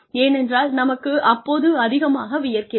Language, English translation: Tamil, Why because, we have been sweating too much